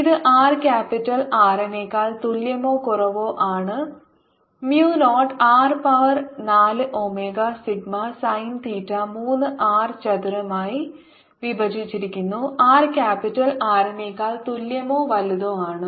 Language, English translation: Malayalam, divided by three, this is for r less than equal to capital r, and mu naught r to the power four, omega sigma sine theta, divided by three, r square for r greater than equal to r